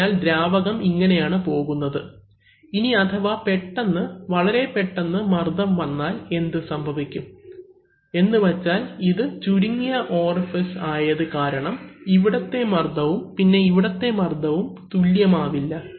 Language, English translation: Malayalam, So, the fluid is passing like this, now if there is a sudden, very suddenly pressurizes then what will happen is that, because this is narrow orifice so the pressure here and here will not be same